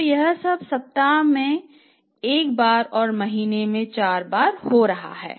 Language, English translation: Hindi, So, this is all happening once a week or four times a month